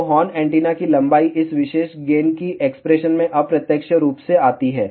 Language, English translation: Hindi, So, the length of the horn antenna comes indirectly in this particular gain expression